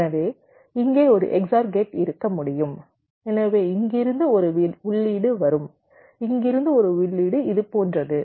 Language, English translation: Tamil, ok, so there can be an x or gate here, so one input will come from here, one input from here, like this